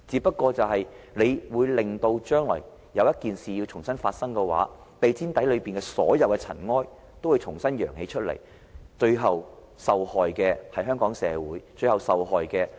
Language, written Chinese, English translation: Cantonese, 如果將來有一件事重新發生，地毯底下的所有塵埃，也會重新揚起，最後受害的是香港社會、是特區政府的管治威信。, When an event comes up again in the future all the dust swept under the carpet will resurface inflicting damage to Hong Kong society and the governance credibility of the Special Administrative Government eventually